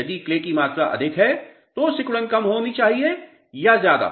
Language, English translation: Hindi, If clay content is more shrinkage should be more or less